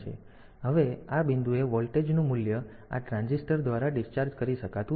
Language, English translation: Gujarati, So, now this voltage value at this point cannot be discharged by this transistor